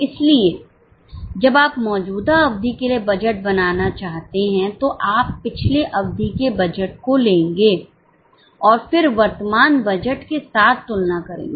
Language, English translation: Hindi, So when you want to make budget for the current period you will take the last period's budget and then compare that with the current budget